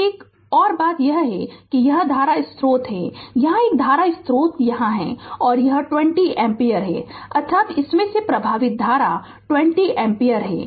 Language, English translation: Hindi, And an another thing is that this is current source is here one current source is here, and it is 20 ampere; that means, current flowing through this is 20 ampere